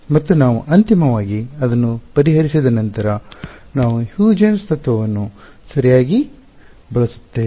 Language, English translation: Kannada, And we finally, once we solve for it we use the Huygens principle right